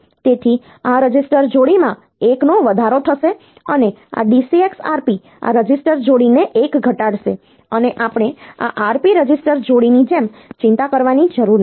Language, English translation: Gujarati, So, this register pair will be incremented by 1 and this DCX Rp will decrement this register pair by 1 and we do not need to worry like this Rp register pairs suppose this BC